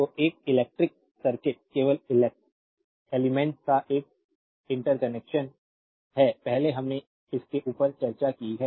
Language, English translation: Hindi, So, an electric circuit is simply an interconnection of the elements earlier we have discussed above this right